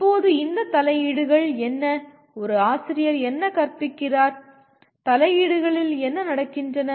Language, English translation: Tamil, Now what are these interventions, what does a teacher does the teaching, what do the interventions take place